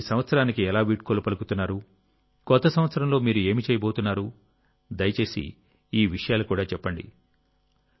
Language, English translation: Telugu, How are you bidding farewell to this year, what are you going to do in the new year, please do tell and yes